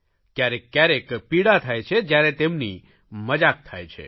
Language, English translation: Gujarati, Sometimes it hurts when they are laughed at